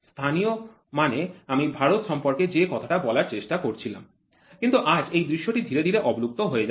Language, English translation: Bengali, Local means what I was trying to talk about India, but today this scenario is slowly dying we are trying to look at global market